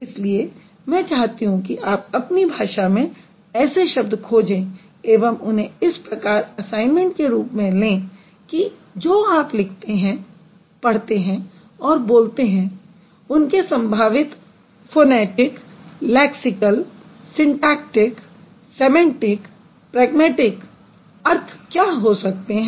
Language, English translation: Hindi, That is why I want you to look for the words in your own language and take it as an assignment to find out with any word that you write or read or you speak what could be the possible phonetic, lexical, syntactic, semantic, pragmatic information that you inform